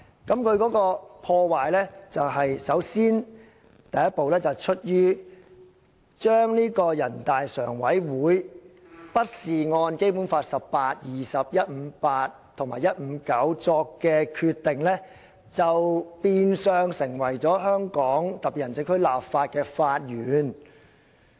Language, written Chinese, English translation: Cantonese, 這種破壞首先見於，人大常委會並非根據《基本法》第十八、二十、一百五十八及一百五十九條而作的決定被採納作為為香港特別行政區立法的法源。, Such destruction can be traced back to the fact that NPCSC has not used the adoption of the decision made with respect to Articles 18 20 158 and 159 as the source of laws in HKSAR